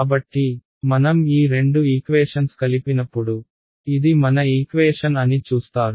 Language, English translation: Telugu, So, when I combine these two equations you will see this is the equation that I get ok